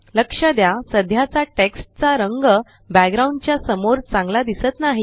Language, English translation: Marathi, Notice that the existing text color doesnt show up very well against the background